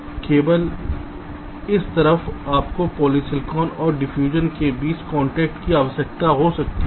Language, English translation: Hindi, you need a contact between polysilicon and diffusion